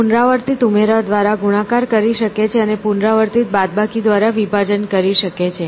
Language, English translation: Gujarati, It could perform multiplication by repeated addition, and division by repeated subtraction